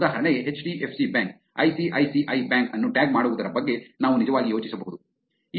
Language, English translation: Kannada, For example, we could actually think of the same thing tagging HDFC Bank, ICICI Bank